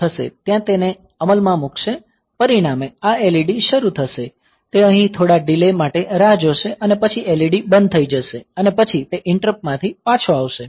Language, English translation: Gujarati, So, there it will be executing this as a result this LED will be turned on, it will wait for some delay here and then the LED will be turned off and then it will be returning from interrupt